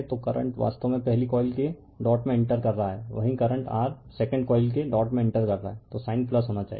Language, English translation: Hindi, So, current actually entering into the dot of the first coil same current I entering the dot of the your second coil